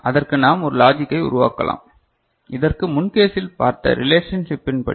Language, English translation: Tamil, So, we can develop the logic for that the way we have seen the relationship in the previous case